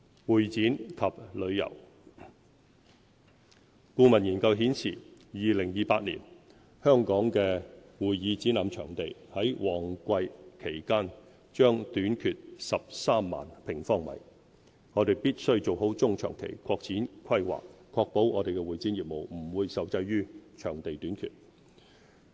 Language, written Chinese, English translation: Cantonese, 會展及旅遊顧問研究顯示 ，2028 年香港的會議展覽場地於旺季期間將短缺13萬平方米，我們必須做好中長期擴展規劃，確保我們的會展業務不會受制於場地短缺。, A consultancy study has found that by 2028 there will be a shortfall of about 130 000 sq m of convention and exhibition venues in Hong Kong at peak periods . We must have well - conceived medium and long - term extension planning and ensure that shortage of venues will not pose constraints to our convention and exhibition business